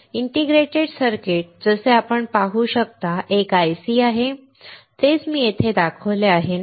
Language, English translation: Marathi, An integrated circuit; as you can see here, is an IC; that is what I have shown you, right